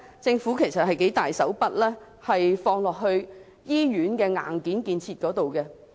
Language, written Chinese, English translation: Cantonese, 政府其實投放了很多金錢在醫院的硬件建設上。, The Government has in fact injected a large amount of funds into hardware development for hospitals